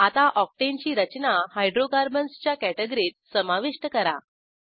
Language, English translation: Marathi, Add Octane structure to Hydrocarbons category, on your own